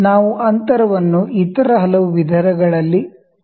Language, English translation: Kannada, We can measure the gap in many other ways